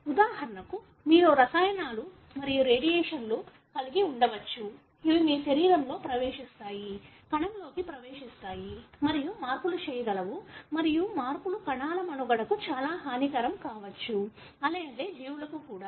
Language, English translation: Telugu, For example, you could have chemicals and radiations which can get into your body, get into the cell and make changes and the changes could be very, very deleterious to the survival of the cell, therefore the organisms